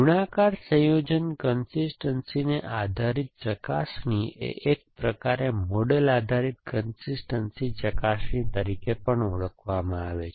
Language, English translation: Gujarati, So, multiplication combination consistency base diagnosis is kind of also called as model base diagnosis